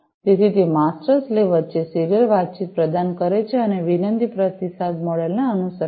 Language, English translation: Gujarati, So, it provides the serial communication between the master/slave and follows a request/response model